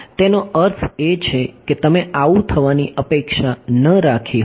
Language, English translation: Gujarati, That is I mean you would not have expected that to happen